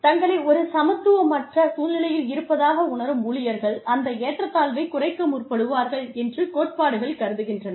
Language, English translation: Tamil, The theories assume that, employees, who perceive themselves to be in an inequitable situation, will seek to reduce that inequity